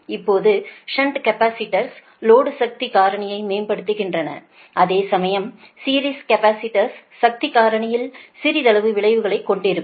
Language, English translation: Tamil, now, shunt capacitors improves the power factor of the load, it is true, whereas series capacitor has little effect on power factor